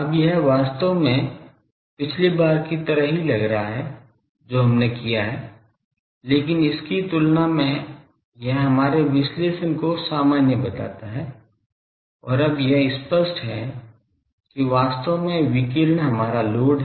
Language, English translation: Hindi, Now it looks like a thing actually the same thing as the previous one we have done, but compared to this looks a more, normal our analysis and it is now apparent that actually our load is the radiation